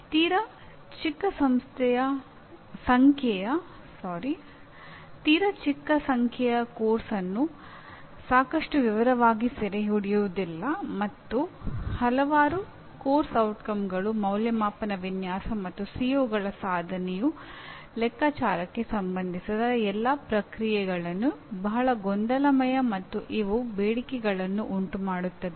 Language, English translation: Kannada, So too small a number do not capture the course in sufficient detail and too many course outcomes make all the processes related to assessment design and computation of attainment of COs very messy and demanding